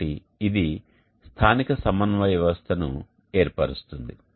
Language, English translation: Telugu, So this forms the coordinate system of the locality